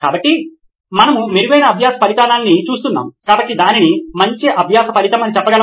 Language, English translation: Telugu, So, we are looking at better learning outcome, so can we put that down as better learning outcome